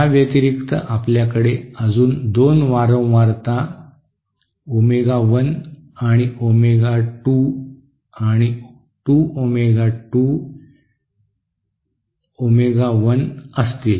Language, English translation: Marathi, In addition we will also have omega 1 omega 2 and yet another frequencies at 2 omega 2 omega one